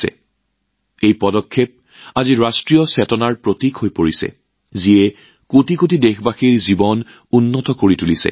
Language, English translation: Assamese, Today this initiative has become a symbol of the national spirit, which has improved the lives of crores of countrymen